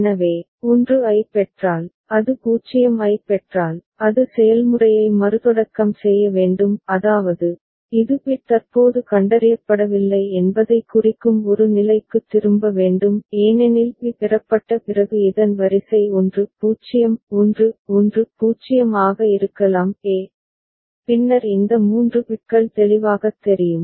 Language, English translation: Tamil, So, after receiving 1 if it receives 0 it just needs to restart the process so; that means, it has to go back to state a which signifies that no bit is currently detected; because the sequence at this could be 1 0 1 1 0 after b received a and then this three bits right clear